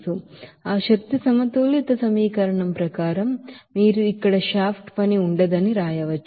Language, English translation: Telugu, So as per that energy balance equation you can write that here simply that there will be no shaft work